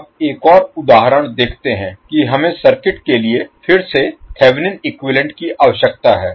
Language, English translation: Hindi, Now, let us see another example where we need to find again the Thevenin equivalent for the circuit